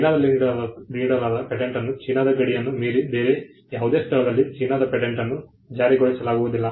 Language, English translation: Kannada, A Chinese patent cannot be enforced in any other place beyond the boundaries of China